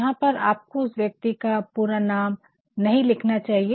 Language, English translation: Hindi, Singh, here you should not write the complete name of the person